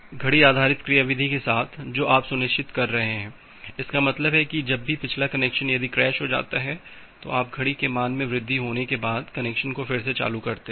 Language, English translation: Hindi, So, with this clock based mechanism what you are ensuring; that means, whenever a previous connection say get crashed here, the connection get crashed here and you are restarting the connection by the time the clock value will increase